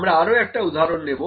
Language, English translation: Bengali, So, I will pick another example